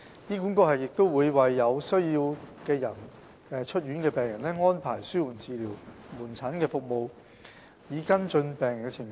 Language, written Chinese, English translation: Cantonese, 醫管局亦會為有需要的出院病人安排紓緩治療門診服務，以跟進病人的情況。, HA will also arrange palliative care outpatient services for discharged patients in need to follow up on their conditions